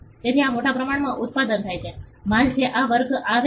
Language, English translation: Gujarati, So, this is largely mass produced, goods which come under this category